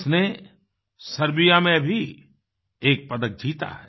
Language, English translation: Hindi, She has won a medal in Serbia too